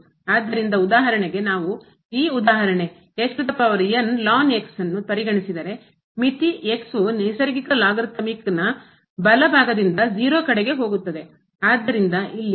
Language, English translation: Kannada, So, for instance we consider this example the limit goes to 0 from the right side power and the natural logarithmic so, here is a natural number